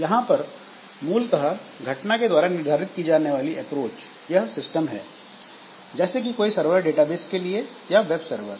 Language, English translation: Hindi, , where it is basically an event driven approach or event driven system, like the server that we have the database server or the web server